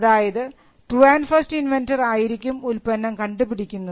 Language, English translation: Malayalam, Now, the true and first inventor may invent the invention